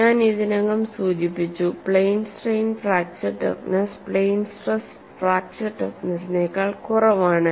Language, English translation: Malayalam, And I have already mentioned, the plane strain fracture toughness is lower than the plane stress fracture toughness